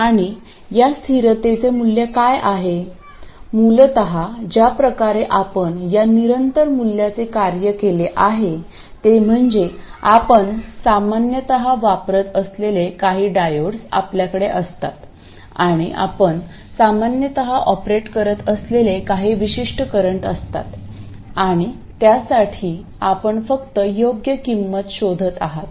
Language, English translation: Marathi, Essentially the way you work out this constant value is you have certain types of diodes that you normally use and you have a certain range of currents that you normally operate at and for that you just look for a reasonable value